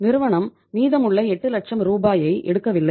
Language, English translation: Tamil, Firm has not withdrawn the remaining 8 lakh rupees